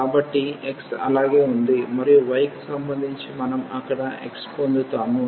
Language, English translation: Telugu, So, x remain as it is and with respect to y we will get x there